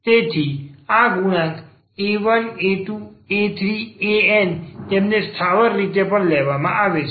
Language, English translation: Gujarati, So, these coefficients here a 1, a 2, a 3, a n they are also taken as constants